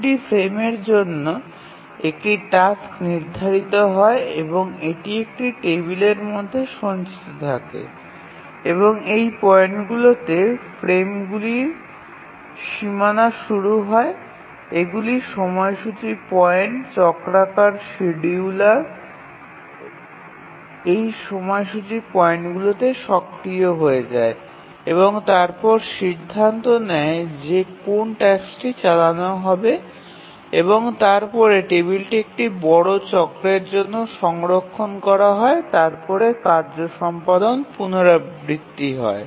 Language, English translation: Bengali, And to each frame a task is assigned and that is stored in a table and these points at which the frames start the frame boundaries these are the scheduling points The cyclic scheduler becomes active at this scheduling points and then decides which task to run and then the table is stored for one major cycle and then the task execution is repeated